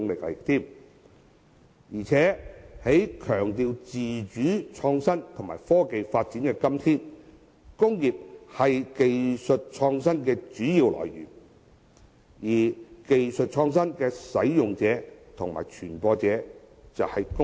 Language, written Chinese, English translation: Cantonese, 在強調自主、創新和科技發展的今天，工業是技術創新的主要來源，而技術創新的使用者及傳播者就是工業。, In todays world where autonomous innovation and technological development are highly emphasized industrial production is the main source for innovation of skills and it is also the user and promoter of innovation and new technologies